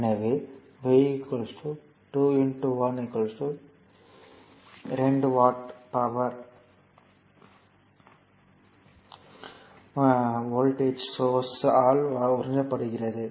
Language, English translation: Tamil, So, it will be 2 into 1 that is 2 watt power absorbed by the voltage source